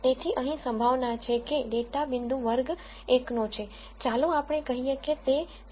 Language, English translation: Gujarati, So, here the probability that the data point belongs to class 1 let us say it is 0